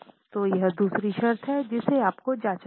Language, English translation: Hindi, So, this is the other condition which you need to check